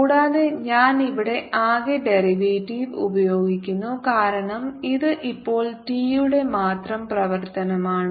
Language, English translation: Malayalam, and i am using a total derivative here because this thing is not the function of t only now we have to calculate